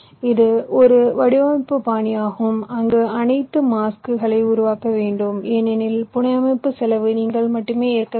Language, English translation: Tamil, this is a design style where all the masks have to be created because the cost of fabrication has to be born by you only